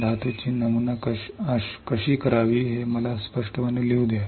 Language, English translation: Marathi, Let me write out clearly metal how to pattern the metal